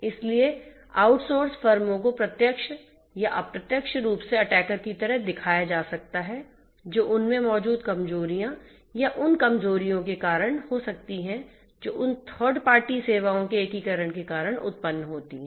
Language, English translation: Hindi, So, outsource firms might also pose as attackers directly or indirectly due to the vulnerabilities that might be in you know existing in them or the vulnerabilities that arise due to the integration of those third party services to the services that are being offered in the mainstream